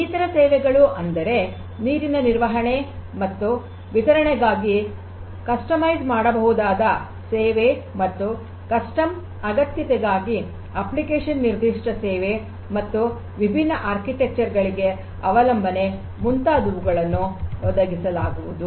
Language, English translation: Kannada, Different other services such as customizable service for water management and distribution and application specific services for custom requirement specific support and support for different architecture